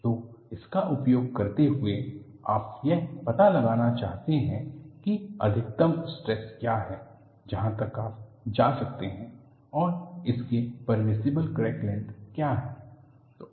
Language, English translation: Hindi, So, using this, what you want to do is, you want to find out what is the maximum stress that you can go, and what is the corresponding permissible crack length